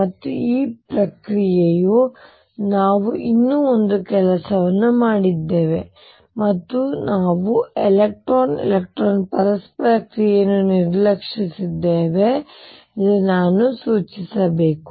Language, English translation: Kannada, And this process we have also done one more thing and I must point that we have neglected the electron electron interaction